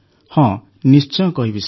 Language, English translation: Odia, Yes, absolutely Sir